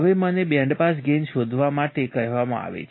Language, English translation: Gujarati, Now, I am asked to find the bandpass gain